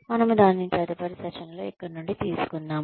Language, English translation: Telugu, We will take it from here, in the next session